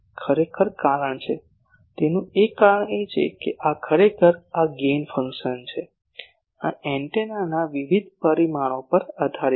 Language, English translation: Gujarati, Actually the reason is; one of the reason is this actually this gain function, this is dependent on various parameters of the antenna